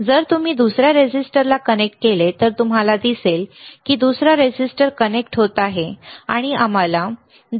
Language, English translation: Marathi, If you connect to another resistor, you will see another resistor is connecting and we are getting the value around 2